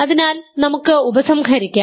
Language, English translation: Malayalam, So, using this we can conclude